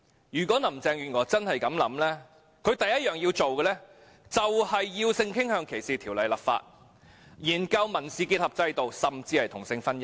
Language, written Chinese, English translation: Cantonese, 如果林鄭月娥真是這樣想，她首要任務便是要就性傾向歧視條例立法、研究民事結合制度，甚至是同性婚姻。, If Carrie LAM truly thinks so her primary task will be the enactment of legislation against sexual orientation discrimination and a study of the systems of civil union and even same sex marriage